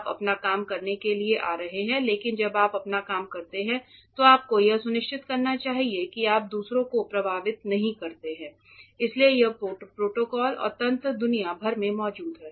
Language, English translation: Hindi, You are coming in to do your work, but when you do your work you should make sure that you do not affect others that is why these protocols and mechanisms are in place across the world